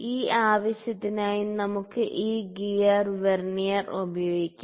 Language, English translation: Malayalam, So, for that purpose we can use this gear Vernier